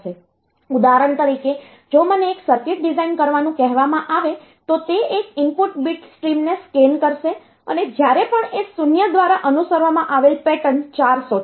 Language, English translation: Gujarati, For example, if I am asked to design a circuit that will that will scan one input bit stream and whenever it finds the pattern 4 ones followed by a 0